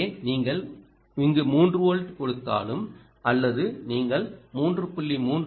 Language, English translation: Tamil, let us say this is five volts and what you are getting here is three volts